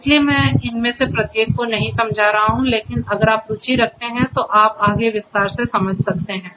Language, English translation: Hindi, So, I am not going to go through each of these, but is given to you to you know if you are interested you can go through and understand in further detail